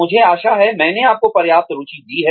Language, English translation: Hindi, I hope, I have got you interested enough